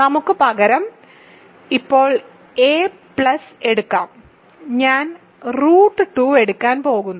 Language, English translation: Malayalam, So, let us take a plus now instead of i, I am going to take root 2